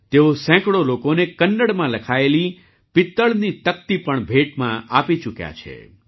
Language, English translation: Gujarati, He has also presented brass plates written in Kannada to hundreds of people